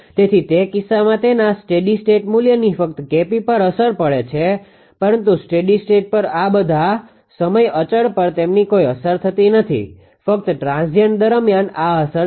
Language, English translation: Gujarati, So, in that case only K p has it effects on that steady state value, but all time constant they do not have any effect on the steady state only during transient this has the effect right